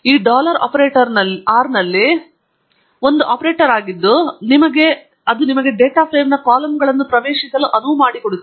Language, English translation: Kannada, This dollar operator is an operator in R which allows you to access the columns of a data frame